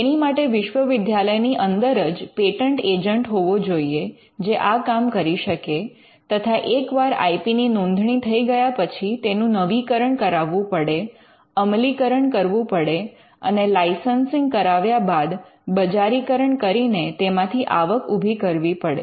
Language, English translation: Gujarati, They should have a patent agent within the university to do this for them and then you have once the IP is registered then you have to keep renewing it you have to keep enforcing it and commercialize it by earning by licensing it and earning revenue